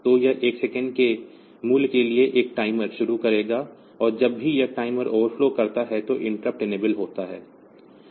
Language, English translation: Hindi, So, it will start a timer for a value of 1 second, and whenever this timer overflows the interrupt is enabled